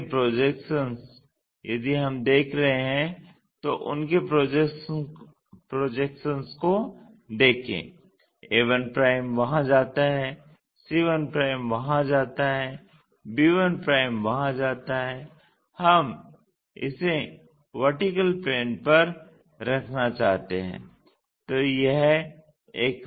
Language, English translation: Hindi, Now, their projections if we are looking, let us look at their projections a 1 goes there, c 1 goes there, b 1' goes there, we want to keep this on the vertical plane